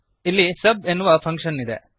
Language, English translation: Kannada, Here we have sub function